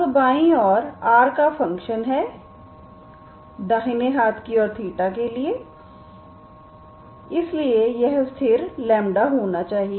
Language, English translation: Hindi, Now left hand side is a function of r, right hand side is function of theta so it should be constant